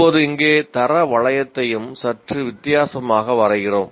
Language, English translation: Tamil, Now here also the quality loop we draw it slightly differently